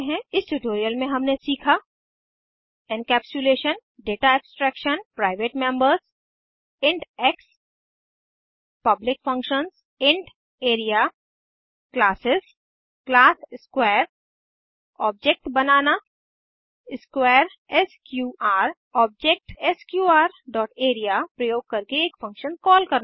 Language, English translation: Hindi, Let us summarize In this tutorial we have learnt, Encapsulation Data Abstraction Private members int x Public functions int area Classes class square To create object square sqr To call a function using object sqr dot area() As an assignment write a program to find the perimeter of a given circle